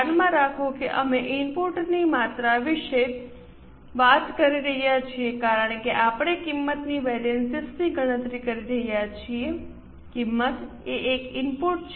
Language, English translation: Gujarati, Keep in mind that we are talking about input quantities because we are calculating cost variances